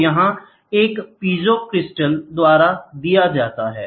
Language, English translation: Hindi, So, here the movement will be given by a piezo crystal, ok